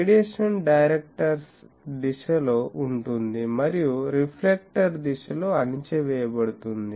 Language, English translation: Telugu, Radiation is in the direction of the directors and suppressed in the reflector direction